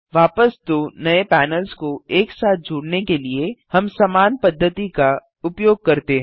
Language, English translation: Hindi, Now, To merge the two new panels back together, we use the same method